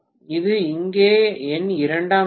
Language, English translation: Tamil, And this is my secondary here